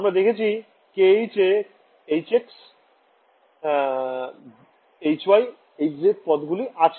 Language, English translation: Bengali, We notice that k h has exactly the h x, h y, h z terms